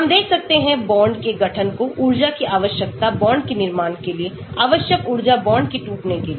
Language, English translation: Hindi, we can look at bond formation, energy required for bond formation, energy required for bond breakage